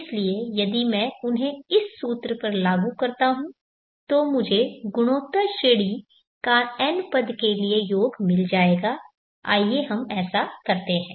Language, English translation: Hindi, So if I apply these to this formula I will get the sum to n terms of the geometric progression, let us do that